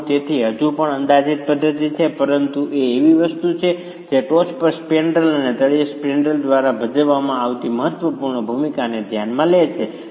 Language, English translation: Gujarati, So, still an approximate method but it is something that considers the important role played by the spandrel at the top and the spandrel at the bottom